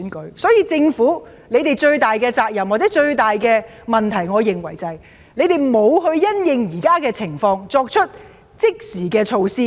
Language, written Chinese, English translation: Cantonese, 故此，我認為政府最大的責任或問題是，沒有因應現時的情況作出即時措施。, For that reason I consider that the biggest responsibility for the Government or its problem is that it has not adopted immediate measures in views of the current situation